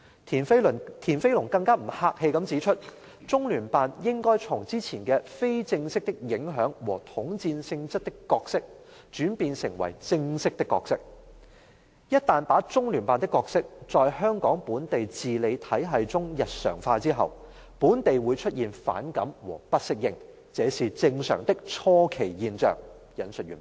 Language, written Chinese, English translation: Cantonese, "田飛農更不客氣地指出："中聯辦應該從之前的非正式的影響和統戰性質的角色轉變成為正式的角色，一旦把中聯辦的角色在香港本地自理體系中日常化後，本地會出現反感和不適應，這是正常的初期現象"，引述完畢。, Mr TIAN Feilong even unreservedly says The Liaison Office of the Central Peoples Government in SAR should assume a formal role instead of only exerting informal influence and bearing the united front nature as in its previous role . Once the role of the Liaison Office is connected with peoples daily activities in the local self - governing system of Hong Kong there will be antipathy and maladjustment in the community and these are normal phenomena in the early stage